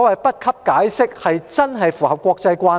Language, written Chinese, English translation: Cantonese, 不給予解釋，是否真的符合國際慣例？, Does giving no explanation really comply with international practice?